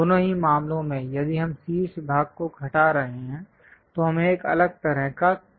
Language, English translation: Hindi, In both the cases if we are removing the top part, we will get different kind of curves